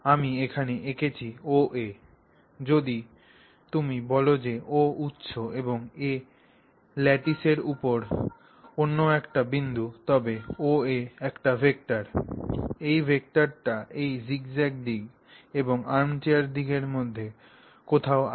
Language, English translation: Bengali, So, what I have drawn here OA, so the vector OA, if you say O is the origin and A is another point there on this lattice, OA is a vector, this vector is somewhere between the zigzag direction and the armchair direction